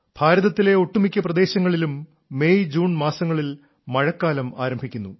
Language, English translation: Malayalam, In most parts of India, rainfall begins in MayJune